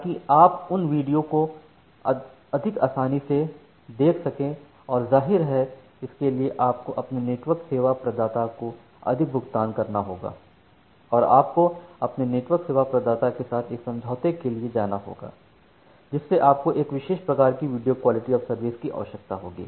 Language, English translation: Hindi, So, that you can look into those videos more smoothly and; obviously, for that you have to pay more to your network service provider, and you have to go for an agreement with your network service provider that you require these particular types of video quality of service